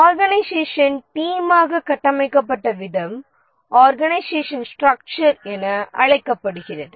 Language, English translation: Tamil, The way the organization is structured into teams is called as the organization structure